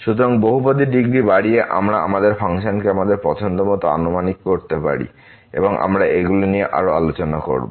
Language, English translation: Bengali, So, by increasing the degree of the polynomial we can approximate our function as good as we like and we will discuss on these further